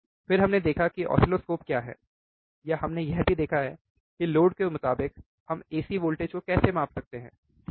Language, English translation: Hindi, Then we have seen what is oscilloscopes, or we have also seen how we can measure the ac voltage, right